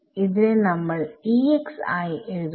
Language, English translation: Malayalam, So, let us write that out